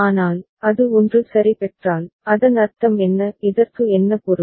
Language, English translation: Tamil, But, if it receives a 1 ok, what does it mean; what does it mean